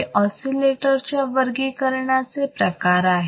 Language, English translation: Marathi, So, these are the types of or classification of the oscillators